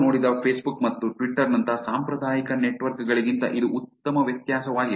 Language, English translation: Kannada, That is a good difference from the traditional networks that we have seen like facebook and twitter